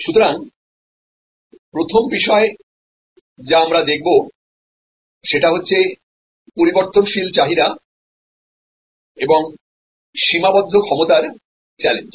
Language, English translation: Bengali, So, the first topic that we are going to look at is the challenge of variable demand and constrained capacity